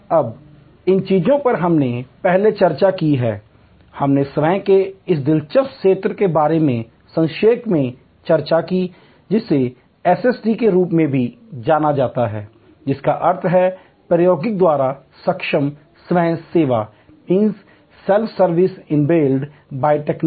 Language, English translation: Hindi, Now, these things we have discussed before, we did briefly discuss about this interesting area of self service, also known as SST that means Self Service enabled by Technology